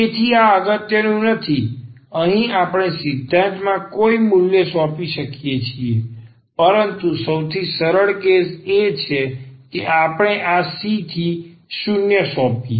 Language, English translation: Gujarati, So, this is not important here we can assign any value in principle, but the simplest case would be that we assign this C to 0